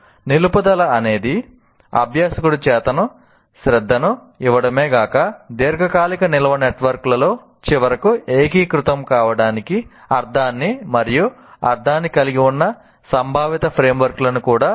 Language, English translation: Telugu, So, retention requires that the learner not only give conscious attention, but also build conceptual frameworks that have sense and meaning for eventual consolidation into the long term storage networks